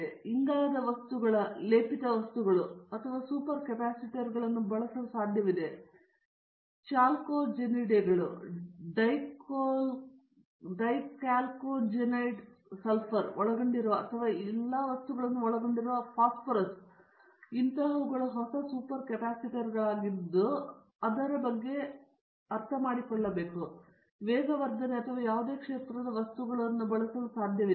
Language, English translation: Kannada, A carbon materials are layered materials may be layered materials are possible to use a super capacitors, but chalcogenides, dichalcogenides sulphur containing or phosphorous containing all these things will be in the future will be new super capacitors like that we can go on taking about it in the materials in the catalysis or any field